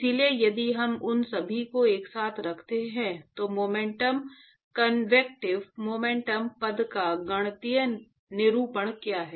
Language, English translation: Hindi, So, if we put them all together, what is the mathematical representation of momentum convective momentum term